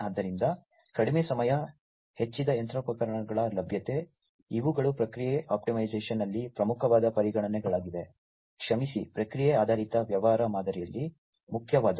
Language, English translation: Kannada, So, reduced down time, increased machinery availability, these are important considerations in the process optimization sorry in the process oriented business model